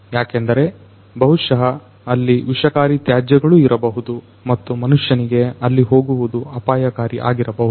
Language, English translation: Kannada, Maybe because there are toxic wastes and it is dangerous for the human beings to basically go over there